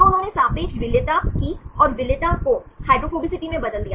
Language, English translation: Hindi, So, they did the relative solubility and converted the solubilities into hydrophobicity